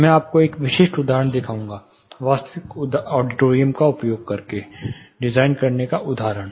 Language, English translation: Hindi, I will show you a typical example, working example using a real auditorium